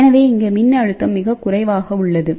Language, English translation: Tamil, So, what will be the voltage at this point